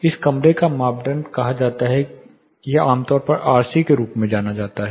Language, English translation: Hindi, This is called room criteria or commonly referred as RC